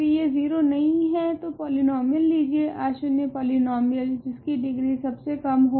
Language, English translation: Hindi, If it is not 0 take the polynomial, non zero polynomial which has the least degree, in other words